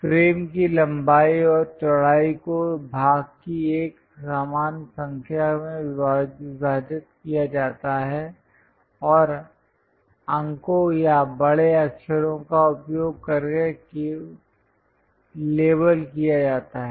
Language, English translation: Hindi, The length and width of the frames are divided into even number of divisions and labeled using numerals or capital letters